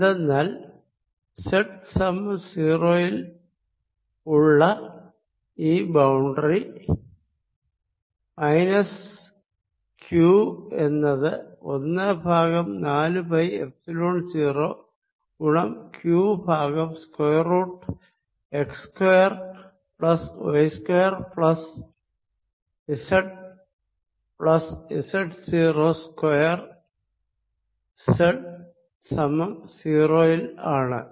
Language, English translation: Malayalam, at z equals to zero, because this, this boundary, that z equal to zero and minus q, gives me a potential, one over four pi epsilon zero, minus q, over square root of x square plus y square, plus z plus z plus minus z, naught zero square at z equal to zero